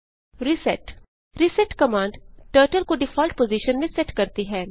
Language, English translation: Hindi, reset reset command sets Turtle to default position